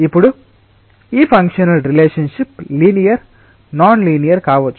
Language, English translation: Telugu, now, this function or relationship may be linear, nonlinear, whatever